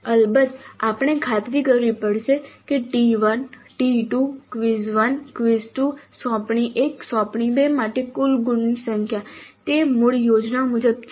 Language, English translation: Gujarati, First we have to ensure that the total number of marks for T1 T2, PIS 1, assignment and assignment 2 there as per the original plan